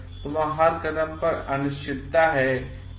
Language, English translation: Hindi, So, uncertainty are there at every step